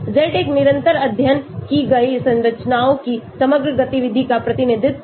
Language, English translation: Hindi, Z is a constant representing the overall activity of the structures studied